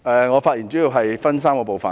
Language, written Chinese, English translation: Cantonese, 我的發言主要分3個部分。, My speech will mainly include three parts